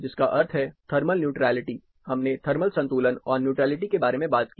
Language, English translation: Hindi, Which means, thermal neutrality, we talked about thermal equilibrium and neutrality